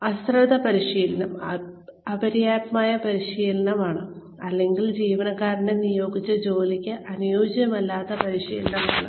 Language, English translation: Malayalam, Negligent training is insufficient training, or training not suited for the job, the employee may be assigned